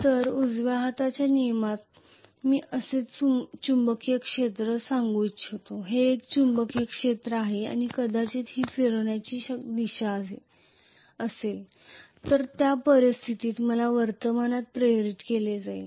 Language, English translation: Marathi, So in the right hand rule I am going to have let us say the magnetic field like this, this is the magnetic field and probably this is going to be the direction of rotation then in that case I am going to have the current induced in this direction